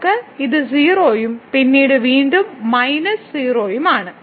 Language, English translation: Malayalam, So, we have this 0 and then again minus 0